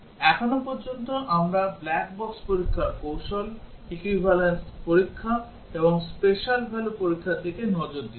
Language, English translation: Bengali, So far we looked at black box testing techniques, equivalence testing and special value testing